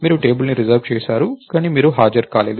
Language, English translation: Telugu, You reserved the table, but you never turned up